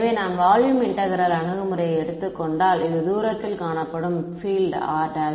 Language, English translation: Tamil, So, I have just taken the volume integral approach here this is the field observed at a distance R prime